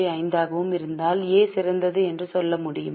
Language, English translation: Tamil, 5, can we say A is better